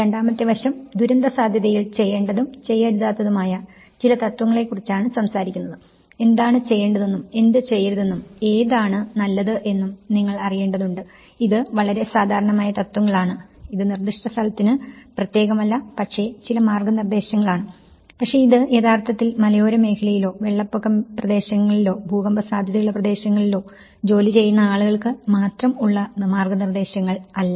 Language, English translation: Malayalam, And the second aspect is; it is talking about certain principles of do's and don'ts, you know what to do and what not to do which is better, it’s a very generic principles which is showing, it is not specific to the site but it will actually show some guidance to people working either on hilly areas or floodplain areas or an earthquake prone area so, it is sometimes it is also specific to a disaster